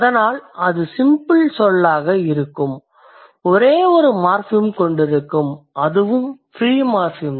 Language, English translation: Tamil, So, when we have a simple word, it has only one morphem and that is a free morphem